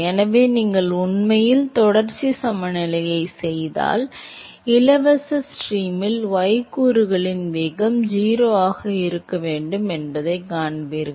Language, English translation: Tamil, So, if you actually do the continuity balance, you will see that the y component velocity has to be 0 in the free stream